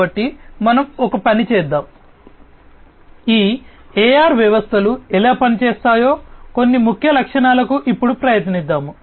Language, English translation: Telugu, So, let us do one thing, we will now try to some of the key features of how these AR systems work